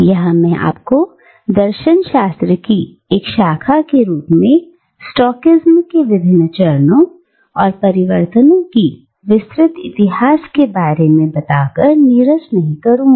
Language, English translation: Hindi, And, here again I will not bore you with a detailed history of the various phases and transformations of Stoicism as a branch of philosophy